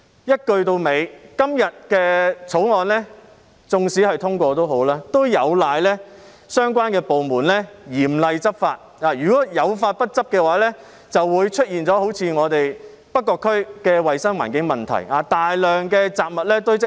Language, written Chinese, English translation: Cantonese, 一句到尾，今天的《條例草案》縱使獲得通過，亦有賴相關部門嚴厲執法，如果有法不執，就會出現好像我們北角區的衞生環境問題。, In sum even if the Bill is passed today it will also require the stringent law enforcement actions of the departments concerned . If the law is not enforced issues similar to the environmental hygiene problem in North Point will emerge